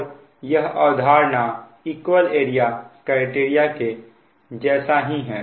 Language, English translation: Hindi, this is that your philosophy of equal area criterion